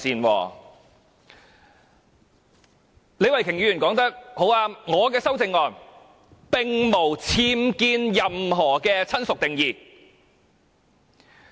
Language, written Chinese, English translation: Cantonese, 李慧琼議員說得很對，我的修正案並無僭建"親屬"的定義。, Ms Starry LEE was right in saying that my amendment has not slipped in any unauthorized structure to the definition of relative